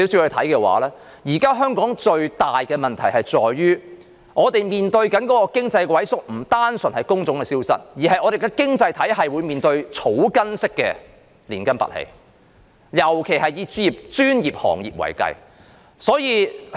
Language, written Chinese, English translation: Cantonese, 香港現時面對的最大問題，在於經濟的萎縮並不單純是工種的消失，而是本港的經濟體系正面對草根式的連根拔起，尤以專業行業為是。, Currently the gravest problem faced by Hong Kong is that the contraction of the economy does not merely lead to the vanishing of jobs but also the uprooting of the local economy particularly the professional sectors